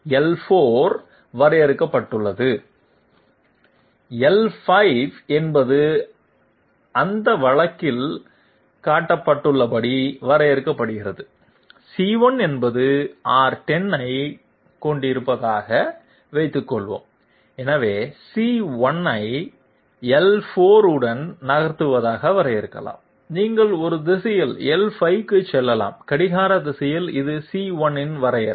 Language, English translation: Tamil, L4 say is defined, L5 say is defined as shown in that case C1 can be defined as suppose C1 is having R10, so C1 can be defined as moving along L4 you can go to L5 in a direction clockwise this is the definition of C1